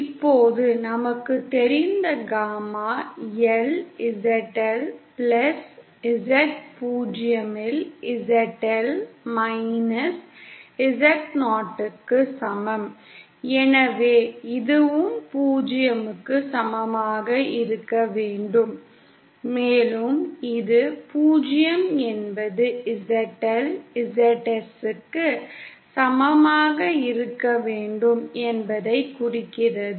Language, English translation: Tamil, Now gamma L we know is equal to Z L minus Z 0 upon Z L plus Z 0, so then this should also be equal to 0, and this being 0 implies ZL should be equal to ZS